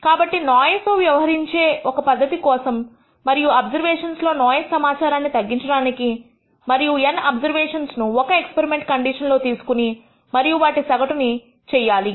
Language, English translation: Telugu, So, one simple way of dealing with noise and reducing the noise content in observations is to take n observations at the same experimental condition and average them